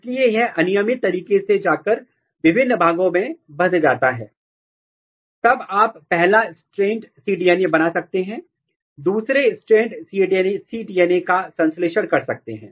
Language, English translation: Hindi, So, it can randomly go and bind different places and then you can make first strand cDNA, synthesis second strand cDNA synthesis